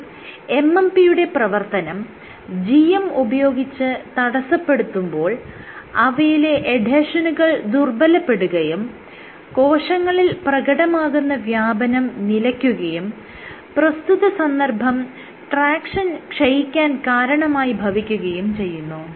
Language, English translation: Malayalam, So, this is your inhibiting MMP activity using GM your focal adhesions fall apart this is loss of cell spreading and what this leads to is also loss of tractions